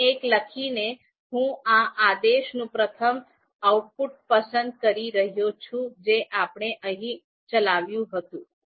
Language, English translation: Gujarati, By typing one here, I am selecting the you know first output of you know this command that we ran